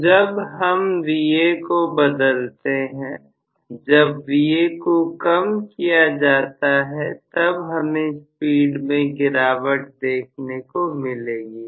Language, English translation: Hindi, So, whenever I change Va, whenever Va is reduced, I am going to have essentially speed decreases